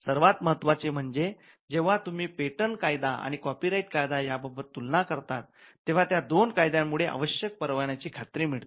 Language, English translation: Marathi, And more importantly when you compare copyright regime and the patent regime, those two regimes allow for the issuance of a compulsory license